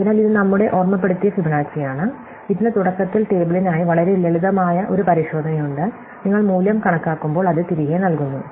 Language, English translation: Malayalam, So, this is our memoized Fibonacci, it just has a very simple check for the table at the beginning and when you compute the value, it puts it back